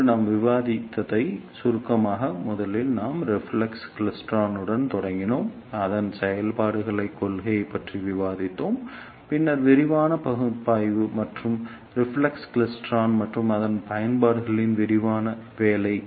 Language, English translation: Tamil, And just to summarize what we discussed today is first we started with reflex klystron, we discussed its working principle, then the detailed analysis and detailed working of reflex klystron and its applications